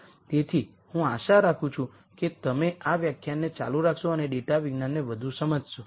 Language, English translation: Gujarati, So, I hope to see you continue these lectures and understand more of data science